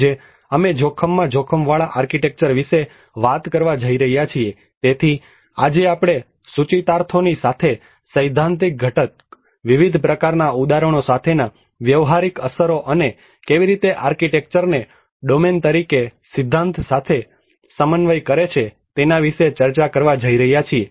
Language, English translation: Gujarati, Today, we are going to talk about architecture at risk, so today we are going to discuss about the theoretical component along with the implications, the practical implications with various variety of examples and how architecture as a domain it contemplates with the theory